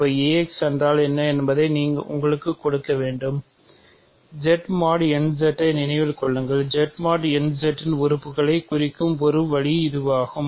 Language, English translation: Tamil, So, now, I need to let you what is ax, remember Z mod n Z one way of representing elements of Z mod n Z is this